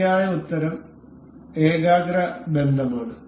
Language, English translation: Malayalam, The correct answer is concentric relation